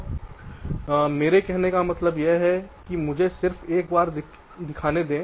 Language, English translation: Hindi, so what i mean to say is that let me just show you once